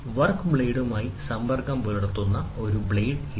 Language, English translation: Malayalam, Here is a blade, which comes in contact with the work piece